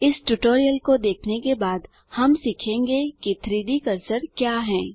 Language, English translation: Hindi, After watching this tutorial, we shall learn what is 3D cursor